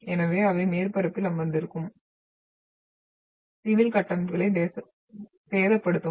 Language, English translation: Tamil, So they will damage the civil structures which are sitting on the surface